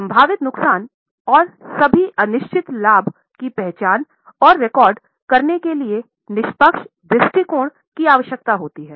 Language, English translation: Hindi, Unbiased outlook is required to identify and record such possible losses and to exclude all uncertain gain